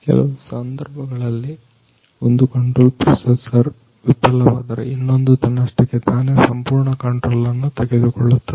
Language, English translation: Kannada, So, in case of one control processor fails the another one take the whole controls automatically